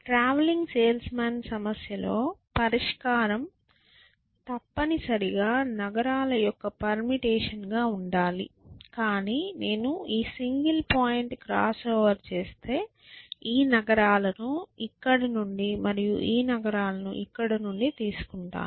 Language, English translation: Telugu, In a travelling sales men problem, the solution must be a permutation of the cities, but if I do, if I do this single point crossover and say this is, I will take this cities from here and this cities from here